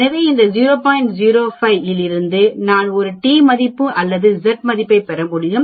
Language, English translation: Tamil, 05 I can get a t value or a z value